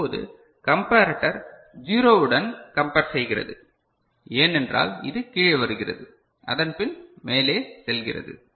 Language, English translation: Tamil, So, now the comparator is now comparing with 0 because it is coming down and then going up right